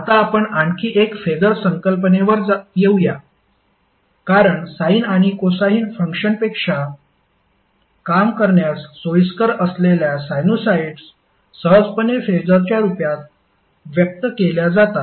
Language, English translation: Marathi, Now let's come to another concept called phaser because sinusoids are easily expressed in terms of phaser which are more convenient to work with than the sine or cosine functions